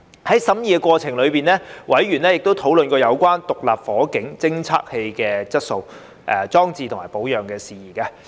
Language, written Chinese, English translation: Cantonese, 在審議過程中，委員曾討論有關獨立火警偵測器的質素、裝置及保養的事宜。, In the course of deliberations members have discussed issues relating to the quality installation and maintenance of SFDs